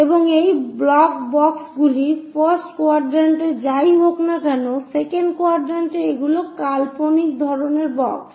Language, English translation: Bengali, And these blocks boxes whatever the first quadrant, second quadrant these are imaginary kind of boxes